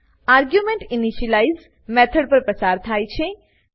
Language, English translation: Gujarati, This argument gets passed on to the initialize method